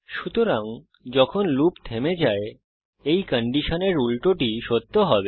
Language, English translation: Bengali, So when the loop stops, the reverse of this condition will be true